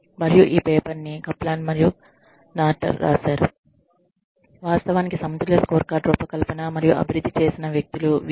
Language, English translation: Telugu, And, this paper was written by, Kaplan and Norton, the people, who actually designed and developed, the balanced scorecard